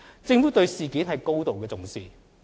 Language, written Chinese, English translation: Cantonese, 政府對事件高度重視。, The Government is highly concerned about the incident